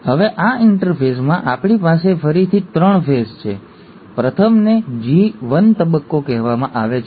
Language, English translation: Gujarati, Now in this interphase, we again have three stages, the first one is called as the G1 phase